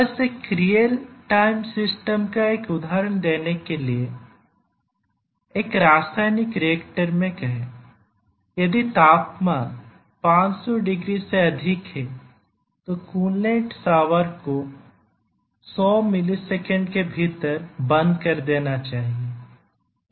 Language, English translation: Hindi, Just to give an example of a real time system let us say that in a chemical reactor if the temperature exceeds 500 degrees, then the coolant shower must be turned down within 100 milliseconds